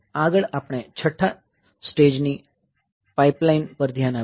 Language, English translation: Gujarati, So, next we will look into sixth stage pipeline